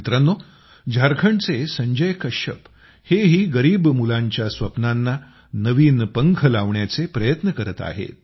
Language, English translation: Marathi, Friends, Sanjay Kashyap ji of Jharkhand is also giving new wings to the dreams of poor children